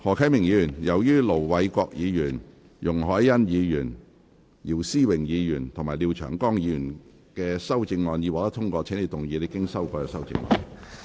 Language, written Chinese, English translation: Cantonese, 何啟明議員，由於盧偉國議員、容海恩議員、姚思榮議員及廖長江議員的修正案已獲得通過，請動議你經修改的修正案。, Mr HO Kai - ming as the amendments of Ir Dr LO Wai - kwok Ms YUNG Hoi - yan Mr YIU Si - wing and Mr Martin LIAO have been passed you may move your revised amendment